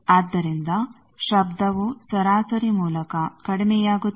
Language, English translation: Kannada, So, noise will become reduced by a averaging